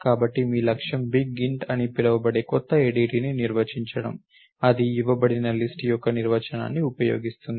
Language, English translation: Telugu, So, your objective is to get define a new ADT called big int which uses a definition of list that is given